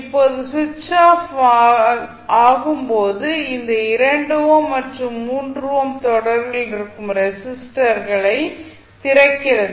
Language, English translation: Tamil, Now, when switch is off means it is opened the 2 ohm and 3 ohm resistances would be in series